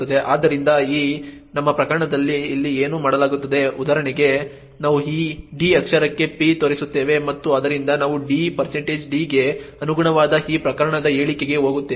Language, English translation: Kannada, So, what is done here in this our case for example we have p pointing to this d character and therefore we get into this case statement corresponding to d % d